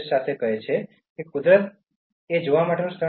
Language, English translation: Gujarati, He says: “Nature is not a place to visit